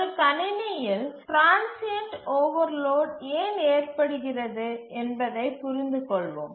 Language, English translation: Tamil, Let's understand why transient overloads occur in a system